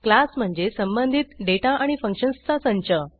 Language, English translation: Marathi, A class is a collection of related data and functions